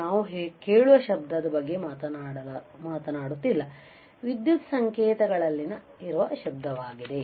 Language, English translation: Kannada, We are not talking about just a noise that we can hear, but noise that are present in the electrical signals